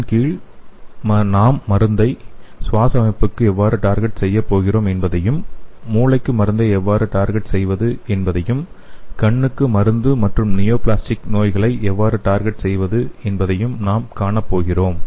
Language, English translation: Tamil, So under this we are going to see how we are going to target this drug to the respiratory system and how we can target the drug to the brain and how we can target drug to the eye as well as the neoplastic diseases